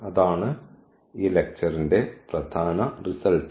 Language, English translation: Malayalam, So, that is the main result of this lecture